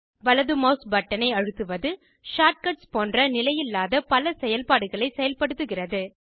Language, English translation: Tamil, Pressing the right mouse button, activates more non standard actions like shortcuts